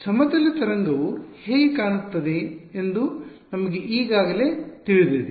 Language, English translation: Kannada, We already know what a plane wave looks like right